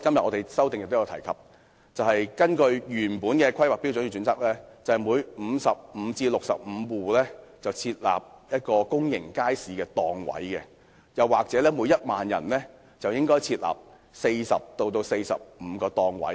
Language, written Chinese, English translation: Cantonese, 我在修正案也提及，根據原來的《規劃標準》，每55至65戶家庭便應設立一個公營街市檔位，或每1萬人應設立約40至45個檔位。, I also mentioned in the amendment the standard of providing one public market stall for every 55 to 65 households or approximately 40 to 45 stalls per 10 000 persons under HKPSG